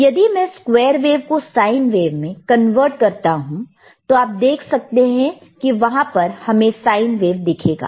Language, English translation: Hindi, So now, if I have from the square wave 2to sine wave, you can see there is a sine wave, right